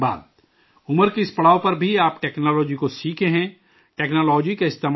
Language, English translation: Urdu, Even at this stage of age, you have learned technology, you use technology